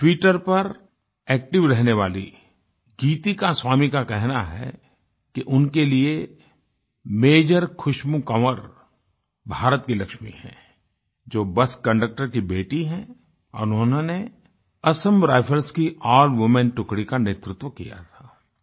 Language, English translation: Hindi, Geetika Swami, who is active on Twitter, says that for her, Major Khushbu Kanwar, daughter of a bus conductor, who has led an all women contingent of Assam Rifles, is the Lakshmi of India